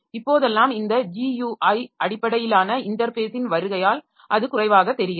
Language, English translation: Tamil, Nowadays with the advent of this GUI based interface so it has become more or less same